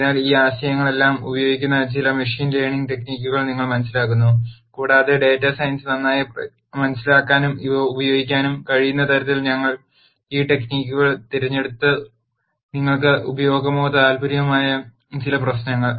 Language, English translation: Malayalam, So, you understand some machine learning techniques where all of these ideas are used and we have picked these techniques in such a way that you can understand data science better and also use these in some problems that might be of use or interest to you